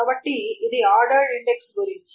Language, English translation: Telugu, So, that is about the ordered index